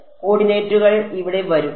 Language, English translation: Malayalam, The coordinates will come in over here ok